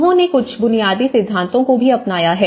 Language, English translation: Hindi, They have also adopted some basic principles